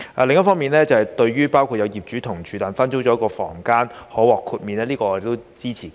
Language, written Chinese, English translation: Cantonese, 另一方面，對於分租了一個房間的同住業主可獲豁免規管，我們都是支持的。, On the other hand we also support the exemption from regulation for live - in landlords who lease out one of their bedrooms